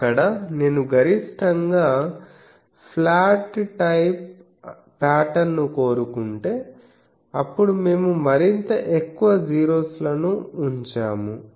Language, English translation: Telugu, So, there if I want a maximally flat type of pattern, then we put more and more zeros